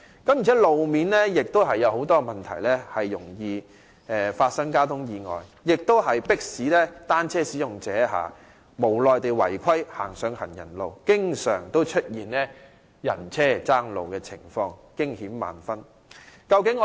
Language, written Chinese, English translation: Cantonese, 再者，路面亦有很多問題，容易發生交通意外，迫使單車使用者無奈地違規駛上行人路，以致經常出現人車爭路的情況，驚險萬分。, Furthermore the road is so problematic that traffic accidents can occur easily . Since cyclists are compelled to use the pavements reluctantly and unlawfully both vehicles and pedestrians are in great danger due to the frequent occurrence of conflicts between them